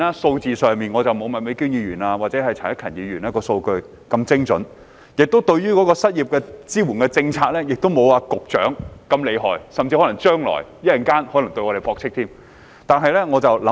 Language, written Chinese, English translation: Cantonese, 當然，我不如麥美娟議員或陳克勤議員能提供精準的數據，而我對失業支援政策的了解亦不及局長厲害，他稍後甚至可能會駁斥我們的說法。, Of course I cannot provide some precise data as Ms Alice MAK or Mr CHAN Hak - kan did . My understanding of the policies to support the unemployed is not as good as that of the Secretary either so he may even refute our points later on